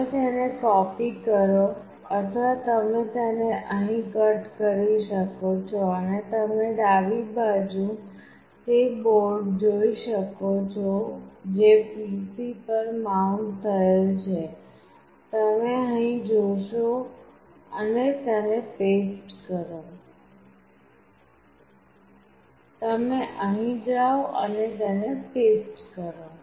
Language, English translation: Gujarati, You copy it or you can cut it from here, and you can see in the left side is the board which is mounted on the PC; you go here and you paste it